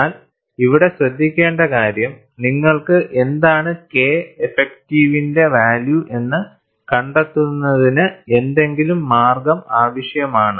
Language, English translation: Malayalam, But the point to note here is, you need to have some way of finding out, what is the value of K effective